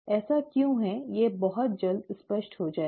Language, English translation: Hindi, Why this is so will become clear very soon